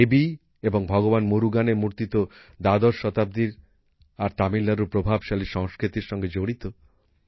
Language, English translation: Bengali, The idols of Devi and Lord Murugan date back to the 12th century and are associated with the rich culture of Tamil Nadu